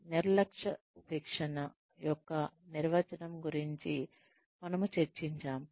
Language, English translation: Telugu, We had discussed, the definition of negligent training